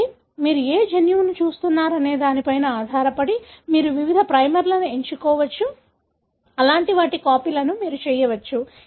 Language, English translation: Telugu, So, depending on which gene you are looking at, you can choose different primers, such that you can make copies of that